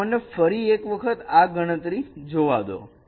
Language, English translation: Gujarati, So let me see these computations once again